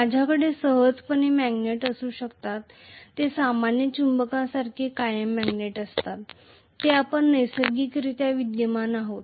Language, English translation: Marathi, I can simply have magnets which are permanent magnets like the normal magnets what we see naturally existing